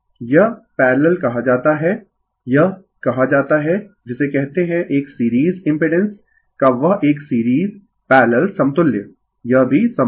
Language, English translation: Hindi, This is called your parallel, this is called your what you call that your series parallel equivalent of a series impedance, this is also possible right